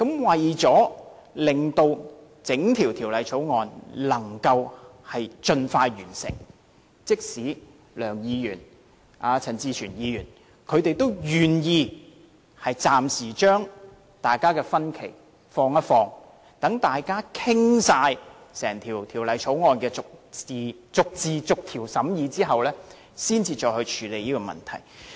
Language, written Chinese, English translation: Cantonese, 為了令整項《條例草案》的審議工作能盡快完成，即使是梁國雄議員和陳志全議員，他們也願意暫時把大家的分歧放下，待大家完全把整項《條例草案》逐字逐條審議完畢後，才再處理這個問題。, In order that the scrutiny work of the whole Bill might be completed expeditiously even Mr LEUNG Kwok - hung and Mr CHAN Chi - chuen were willing to set aside their differences for the time being and wait until the completion of our scrutiny of the whole Bill clause by clause before attending to such issues again